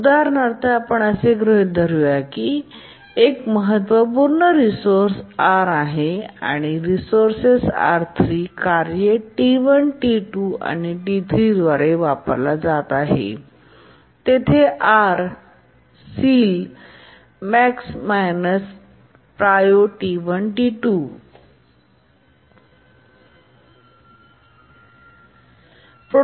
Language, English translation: Marathi, Let's assume that there is a critical resource R and the resource R is being used by three tasks, T1, T2 and T3, and there will be ceiling value associated with the R which is equal to the maximum of the priorities of T1, T2 and T3